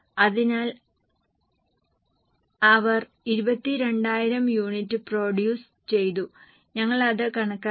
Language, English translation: Malayalam, So, they have given 22,000 are the units produced we have calculated